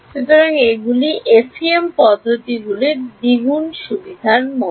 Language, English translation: Bengali, So, these are like double advantage of FEM methods